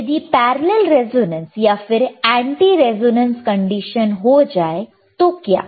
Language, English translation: Hindi, Now, what if a parallel resonance or anti resonance condition occurs